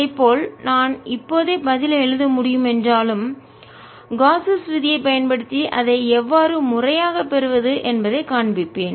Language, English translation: Tamil, although i can write the answer right away, i'll show you how to systematically get it using gauss law